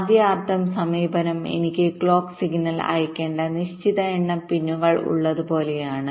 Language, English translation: Malayalam, maybe, like i have a certain number of pins where i have to send the clock signal